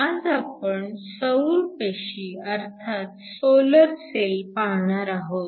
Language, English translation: Marathi, Today, we are going to look at solar cells